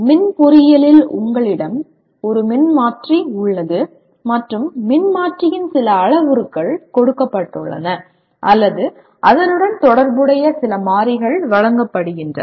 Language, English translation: Tamil, In electrical engineering you have a transformer and some parameters of the transformer are given or some variables associated with are given